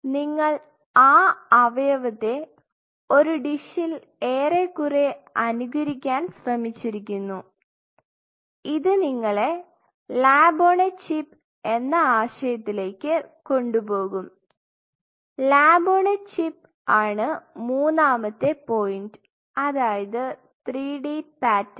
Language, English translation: Malayalam, You are almost trying to mimic that organ in our dish and that will take us to lab on a chip concept third point now three d and 3D pattern